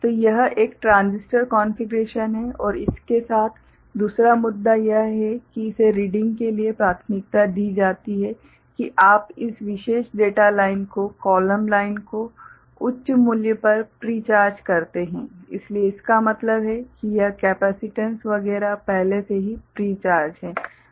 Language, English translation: Hindi, So, this is a one transistor configuration and the other issue with this one is that for reading it is preferred that you pre charge this particular data line the column line to high value, so that means, this capacitance etcetera is already pre charged